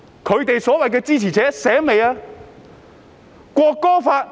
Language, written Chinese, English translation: Cantonese, 反對派所謂的支持者清醒了嗎？, Have the so - called supporters of the opposition camp woken up yet?